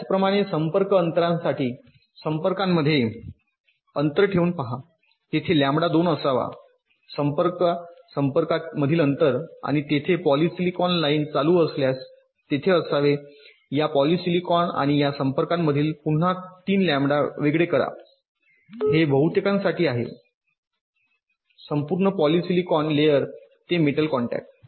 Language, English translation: Marathi, see, there should be three lambda spacing between two contact connections and if there is a polysilicon line running, there should be again be a three lambda separation between this polysilicon and this contacts